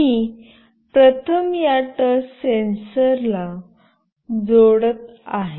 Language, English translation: Marathi, I will be first connecting this touch sensor